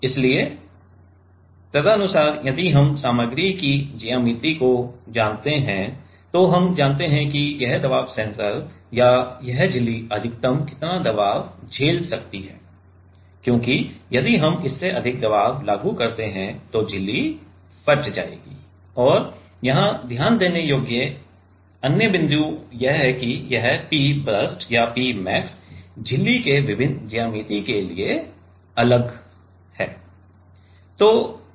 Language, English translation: Hindi, So, accordingly if we know the material geometry then we know how much can be the maximum pressure this pressure sensor or this membrane can with stand, because we if we apply more pressure than that then the membrane will burst and other point here to note here is that this P burst or P max is different for different geometries of membrane ok